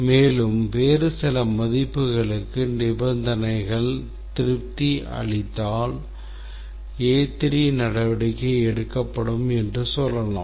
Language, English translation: Tamil, And if the conditions have some other set of values, then the let's say action A3 will be taken